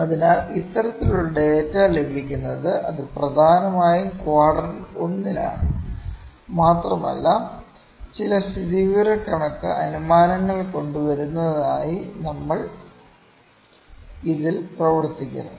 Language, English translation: Malayalam, So, this kind of data is obtained that is in quadrant one, mostly and we work on this to bring some statistical inference